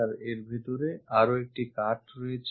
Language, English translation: Bengali, And there is one more cut inside of that